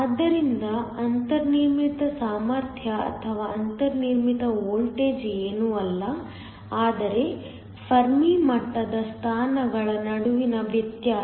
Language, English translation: Kannada, So, the built in potential or the built in voltage is nothing, but the difference between the Fermi level positions